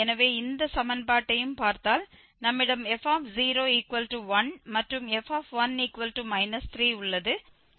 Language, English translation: Tamil, So, if we look at this equation also so we have f0 as 1 and f1 is minus 3